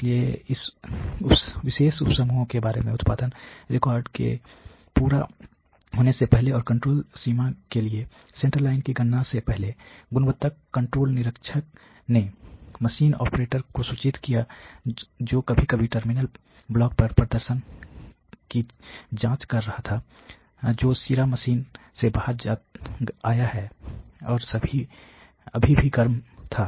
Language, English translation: Hindi, So, this about this particular sub group before the completion of the production order, and before the calculation of the central line for the control limits, the quality control inspector noticed at the machine operator was occasionally checking performance on terminal block there head just come of the machine and was still hot